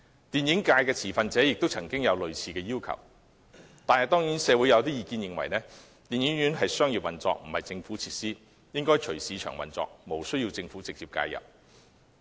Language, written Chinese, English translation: Cantonese, 電影界的持份者亦曾提出類似要求，但社會有意見認為，電影院屬商業運作，並非政府設施，應隨市場運作，無需政府直接介入。, Stakeholders of the film industry have also made a similar request but there are also views that the commercial operations of cinemas which are not government facilities should be left to the market and no direct government intervention is needed